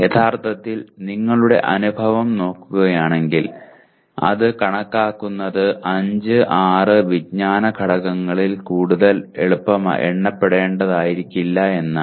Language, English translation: Malayalam, Actually if you look at our experience, our experience shows that there may never be more than 5, 6 knowledge elements that need to be enumerated